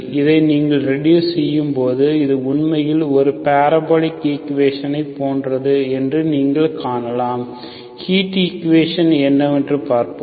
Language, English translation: Tamil, So when you reduce this, you can see that this is actually, this is something similar to parabolic equation, we will see what it is or heat equation, okay